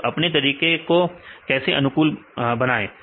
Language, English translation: Hindi, So, and how to optimize the method